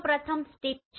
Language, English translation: Gujarati, So first one is Strip